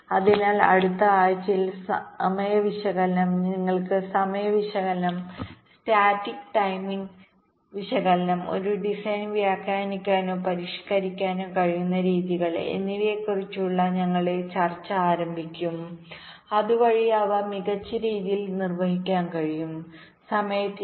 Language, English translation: Malayalam, so in the next week we shall be starting our discussion on the timing analysis, the various ways you can carry out timing analysis, static timing analysis and ways in which you can annotate or modify a design so that they perform better with respect to timing